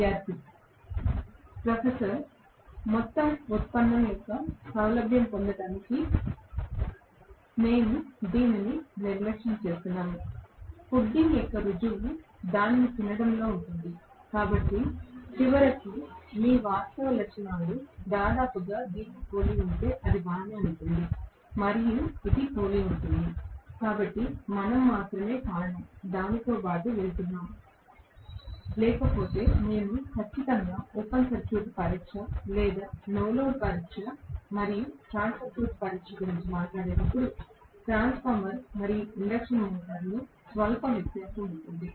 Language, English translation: Telugu, We are neglecting it just to get the ease of the entire derivation, the proof of the pudding is in eating it, so ultimately if your actual characteristics almost resembles this it is alright and it is resembles it does resemble, so that is the only reason we are going along with it, otherwise we would definitely say that is the reason when I talk about the open circuit test or no load test and short circuit test, in a transformer and induction motor there will be slight difference, we will look at it also, there will be some differences